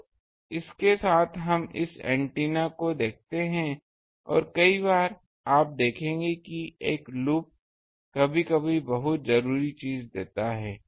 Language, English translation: Hindi, So, with this we see this antennas and many times you will see that a loop sometimes gives a much um needed thing